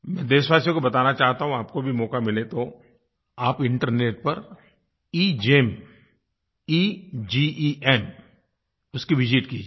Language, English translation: Hindi, Here I want to tell my countrymen, that if you get the opportunity, you should also visit, the EGEM, EGEM website on the Internet